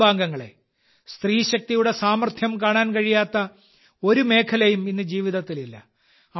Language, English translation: Malayalam, My family members, today there is no area of life where we are not able to see the capacity potential of woman power